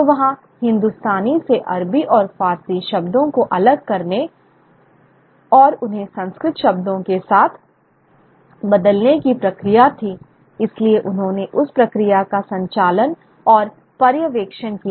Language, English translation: Hindi, So there was this process of kind of sanitization of Arabic and Persian words from Hindustani and sort of replacing them with with Sanskrit words